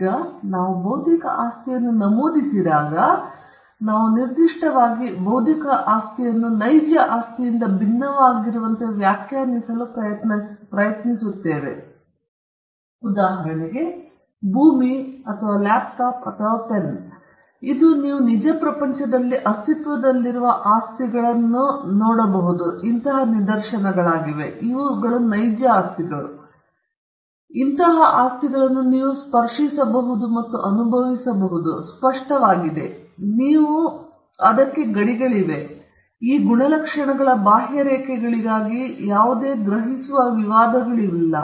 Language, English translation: Kannada, Now, when we mention intellectual property, we are specifically trying to define intellectual property as that is distinct from real property; for example, land or a laptop or a pen these are instances of property that exist in the real world; you can touch and feel them; they are tangible; you can feel them; there are borders to it; there is no perceivable dispute with regards to where the contours of these properties are